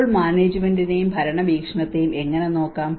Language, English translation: Malayalam, So how we can look at the management and the governance perspective